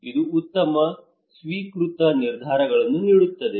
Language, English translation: Kannada, It will give better accepted decisions